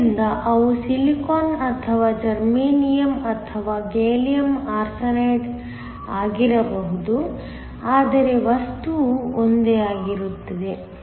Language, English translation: Kannada, So, they could be Silicon or Germanium or Gallium Arsenide, but the material is same